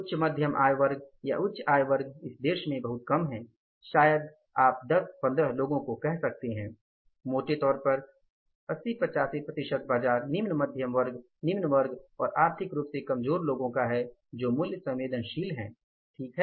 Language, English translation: Hindi, Upper middle income group and higher income groups are very few in this country maybe you can say 10, 15 people, largely 80 to 85 percent of the market is say lower middle class, lower class and the EWS people who are price sensitive